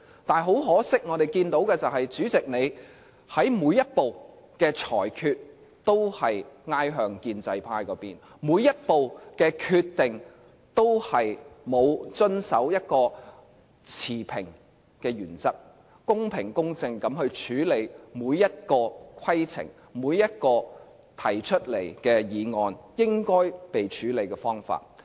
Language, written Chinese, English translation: Cantonese, 但很可惜，我們看到主席在每一步的裁決，都是傾向建制派那邊；每一步的決定，都沒有遵守一個持平的原則，公平公正地處理每一個規程、每一項提出的議案，沒有按應該處理的方法去處理。, I have to stress that everything we have done is in accordance with the procedures . Regrettably we can only see that in his every ruling the President tilts towards the pro - establishment camp; in his every decision on points of order the President does not uphold fairness and justice; and in his dealing with every motion he refuses to follow the proper ways